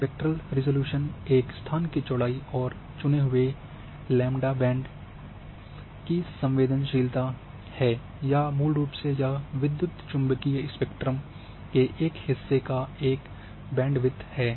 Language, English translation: Hindi, Spectral resolution is a location width and sensitivity of chosen lambda bands or a basically it is a bandwidth in a part of eu electromagnetic spectrum